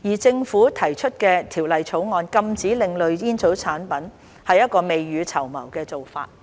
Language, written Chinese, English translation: Cantonese, 政府提出《條例草案》禁止另類吸煙產品是一個未雨綢繆的做法。, The Governments introduction of the Bill to ban ASPs is a precautionary move